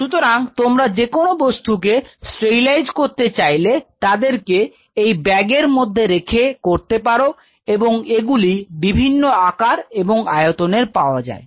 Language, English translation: Bengali, So, whatever you want to sterilize you keep them inside the and they come in different size and shape mostly different size and shapes